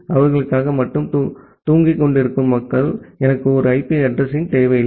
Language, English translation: Tamil, The people who are just sleeping for them, I do not require an IP address at all